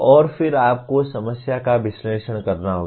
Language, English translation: Hindi, And then you have to analyze the problem